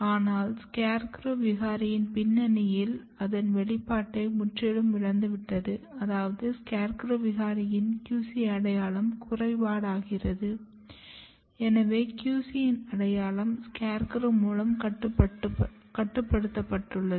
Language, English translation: Tamil, But in scarecrow mutant background you can see that the expression is totally lost, which means that in the scarecrow mutant QC identity is defective, which tells that the identity of QC is regulated by SCARECROW